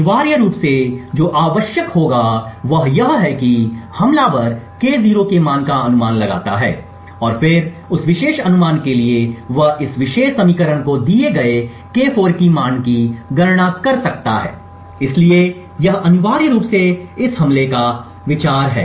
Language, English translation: Hindi, Essentially what would be required is that the attacker guesses a value of K0 and then for that particular guess he can then compute the value K4 given this particular equation, so this is essentially the idea of this attack